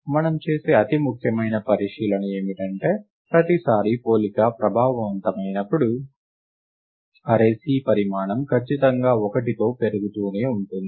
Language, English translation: Telugu, The most important observation that we make, is that every time a comparison is affected, the size of the array C keeps increasing by exactly one